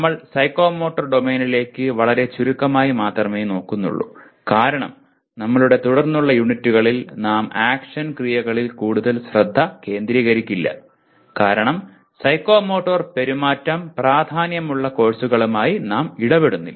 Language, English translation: Malayalam, And we are only looking at psychomotor domain very briefly because in our subsequent units we will not be focusing very much on action verbs because we are not dealing with courses where psychomotor behavior starts becoming important